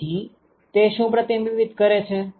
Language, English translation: Gujarati, So, what does it reflect